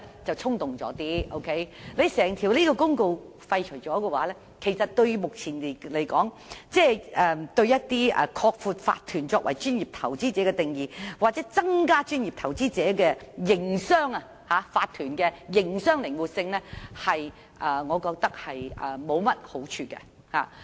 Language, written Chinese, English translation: Cantonese, 若把法律公告廢除，我認為以目前而言，將對擴闊法團作為專業投資者的定義，又或增加作為專業投資者的法團的營商靈活性並無好處。, For the time being I think repealing the Legal Notice will not do any good to the expanding of the definition of corporations as professional investors or enhancing of flexibility in business operation for corporations as professional investors